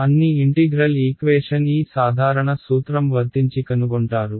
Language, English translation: Telugu, You will find this general principle applied in all integral equation